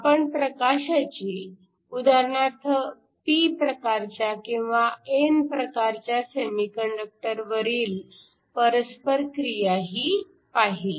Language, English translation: Marathi, We also looked at the interaction of light with say a p type or an n type semiconductor